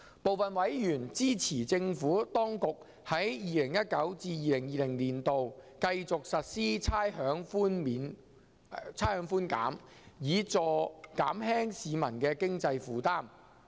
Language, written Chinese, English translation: Cantonese, 部分委員支持政府當局在 2019-2020 年度繼續實施差餉寬減，以減輕市民的經濟負擔。, Some members have expressed support for the Administration to continue implementing rates concession in 2019 - 2020 to help ease the financial burden of the public